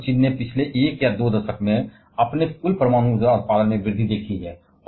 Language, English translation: Hindi, India and China has seen an increase in their total nuclear production over a last 1 or 2 decades